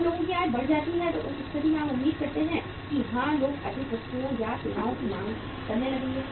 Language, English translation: Hindi, When the income of the people go up, goes up in that case you should expect that yes people will start demanding for more goods and services